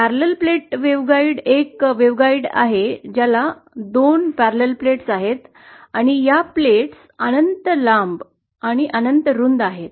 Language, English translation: Marathi, A Parallel Plate Waveguide is a waveguide which has two parallel plates and these plates are infinity long and infinitely wide